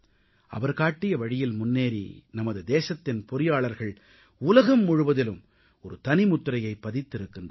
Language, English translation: Tamil, Following his footsteps, our engineers have created their own identity in the world